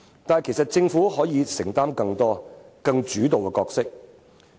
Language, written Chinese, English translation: Cantonese, 但其實，政府是可以作出承擔及擔當更主動的角色的。, But the Government can actually make a commitment and play a more active role regarding this issue